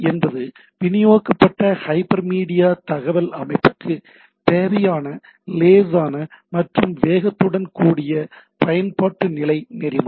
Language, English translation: Tamil, So, HTTP is a application level protocol with the lightness and speed necessary for distributed hyper media information system